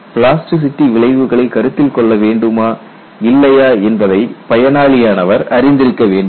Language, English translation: Tamil, The user must know whether or not plasticity effects need to be considered